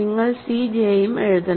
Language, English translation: Malayalam, So, you should also write c j